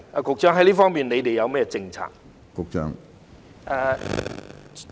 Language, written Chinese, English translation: Cantonese, 局長，就這方面，當局有何政策？, Secretary in this connection what policies do the authorities have?